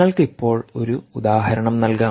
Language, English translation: Malayalam, i give you a very simple example